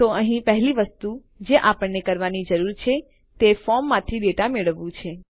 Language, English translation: Gujarati, So inside here the first thing we need to do is get the data from the form